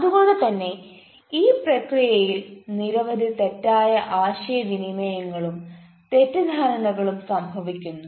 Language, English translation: Malayalam, so in the process, many miscommunication happens, many misunderstanding happens